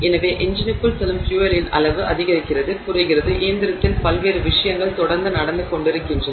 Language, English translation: Tamil, So, the amount of fuel that goes into the engine increases, decreases, comes to a halt, lot of different things are happening in the engine continuously, right